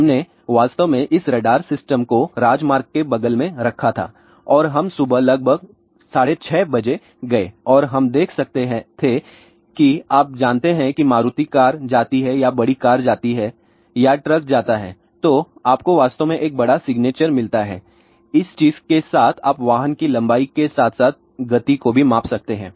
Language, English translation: Hindi, So, where we could actually speaking what we did that we actually put this particular radar system next to the highway and we went early morning around 6:30 am and we could actually see that you know when a Maruti car goes or a bigger car goes or a truck goes so, you get actually a larger signature and with this particular thing then you can measure the speed as well as length of the vehicle